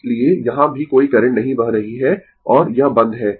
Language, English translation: Hindi, So, no current is flowing here also and this is closed right